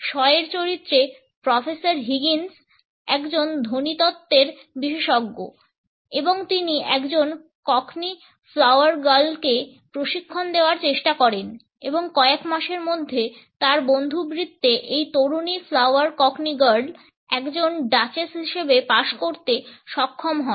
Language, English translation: Bengali, Shaw’s character Professor Higgins is an expert of phonetics and he tries to coach a cockney flower girl and is able to pass on this young flower cockney girl as a duchess within a couple of months in his friend circle